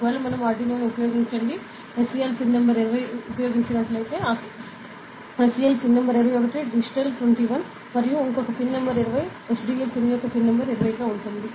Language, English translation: Telugu, And in case, since we have use the Arduino due ok, the SCL pin is pin number 21, digital 21 and the other pin is pin number 20 SDA pin in due is pin number 20 ok